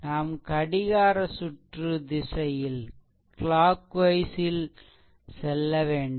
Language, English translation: Tamil, So, going clock wise this way